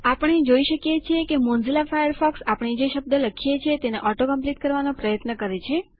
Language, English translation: Gujarati, We see that Mozilla Firefox tries to auto complete the word we are typing